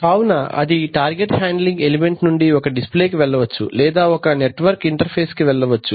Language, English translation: Telugu, So by target handling element it could be a display or it could be a network card